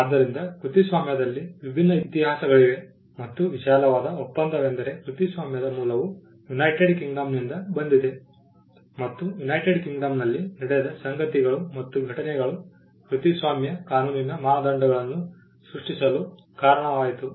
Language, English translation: Kannada, So, there are different histories in copyright and the broad agreement is that the origin of copyright came from United Kingdom and the things and the events that happened in United Kingdom led to the creation of norms for copyright law